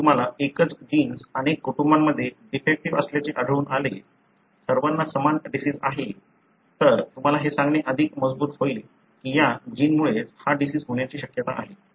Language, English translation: Marathi, If you can find same gene being defective in multiple families, all having the same disease, then it becomes much more stronger for you to tell this is the gene likely to cause the disease